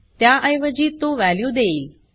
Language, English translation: Marathi, Instead it will give the value